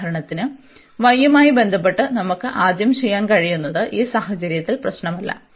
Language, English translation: Malayalam, For example, we could do with respect to y first does not matter in this case